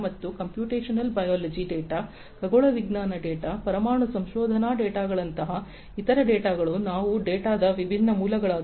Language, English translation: Kannada, And other data such as computational biology data, astronomy data, nuclear research data, these are the different sources of data